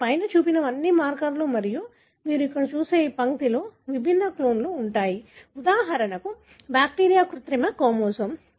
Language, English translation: Telugu, So, all that are shown on the top are markers and each of this line that you see here are the different clones of, for example bacterial artificial chromosome